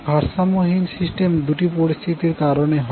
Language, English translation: Bengali, So, unbalanced system is caused by two possible situations